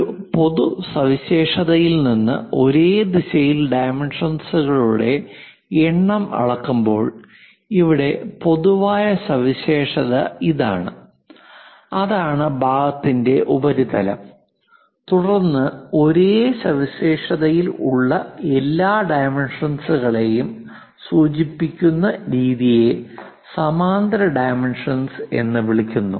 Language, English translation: Malayalam, When numbers of dimensions are measured in the same direction from a common feature; here the common feature is this, that is surface of the part then method of indicating all the dimensions from the same feature is called parallel dimensioning